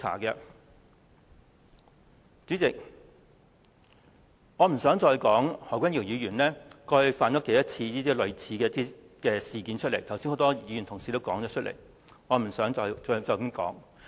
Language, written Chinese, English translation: Cantonese, 代理主席，我不想再說何君堯議員過去多少次犯上類似的錯誤，剛才有很多議員同事已提及，我不想重複。, Deputy President I do not want to go on with the number of times in the past in which Dr HO has made similar mistakes since many Members have mentioned that just now . I do not want to repeat